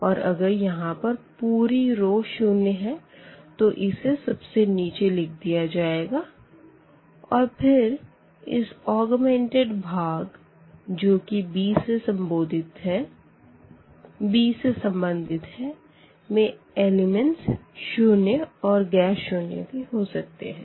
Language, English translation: Hindi, And if there are the zero rows they are they are taken to this bottom of this matrix and then from this augmented part which was correspond to this b here these elements may be 0 and may not be 0